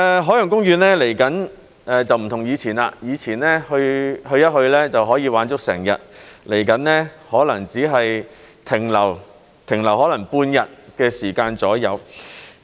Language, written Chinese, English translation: Cantonese, 海洋公園未來會與以前不同，以前去一去就可以玩足整日，未來可能只是停留大概半天。, In the future OP will be different from what it was in the past . In the past we could have fun in OP for the whole day during our visit but we may only stay there for about half a day in the future